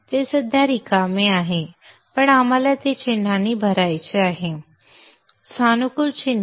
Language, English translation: Marathi, It is right now empty but we want to fill it up with symbols